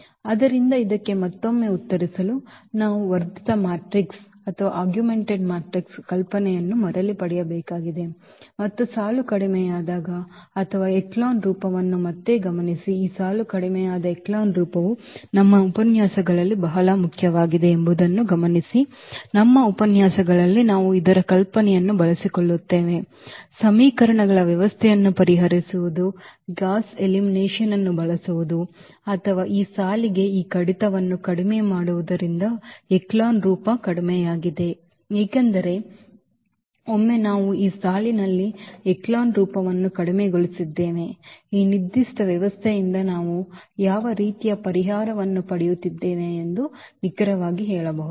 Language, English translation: Kannada, So, to answer this again we have to get back to this the idea of the augmented matrix and the row reduced or echelon form again just note that this row reduced echelon form is very important almost in our lectures we will be utilizing the idea of this solving the system of equations, using gauss elimination or rather saying this reducing to this row reduced echelon form because once we have this row reduced echelon form, we can tell exactly that what type of solution we are getting out of this given system